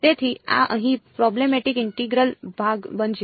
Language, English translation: Gujarati, So, this is going to be the problematic integral over here